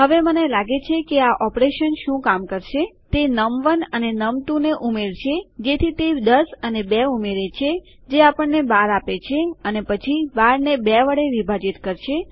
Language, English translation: Gujarati, So, what I think this operation will do is, it will add num1 and num2, so that is 10 and 2 which will give us 12 and then 12 divided by 2